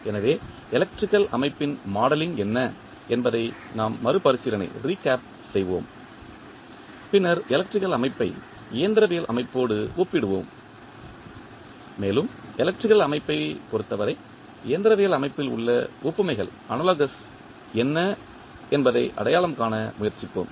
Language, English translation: Tamil, So, we will recap that what is the modeling of electrical system and then we will compare the electrical system with the mechanical system and we will try to identify what are the analogies in the mechanical system with respect to the electrical system